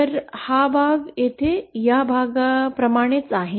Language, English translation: Marathi, So this part here is same as this part here